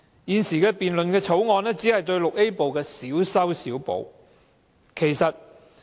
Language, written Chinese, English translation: Cantonese, 現在辯論的《條例草案》只是對《條例》VIA 部作出小修小補。, The Bill in question only makes patchy fixes to Part VIA of the Ordinance